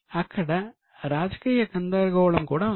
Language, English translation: Telugu, There was a political confusion as well